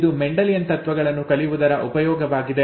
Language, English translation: Kannada, That was the use of learning Mendelian principles